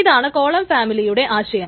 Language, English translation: Malayalam, There is a concept of a column family